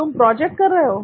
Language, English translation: Hindi, You are doing a project